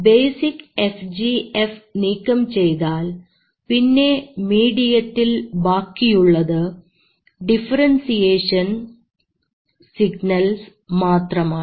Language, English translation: Malayalam, Once the basic FGF is removed, then what you are left with are only the differentiation signals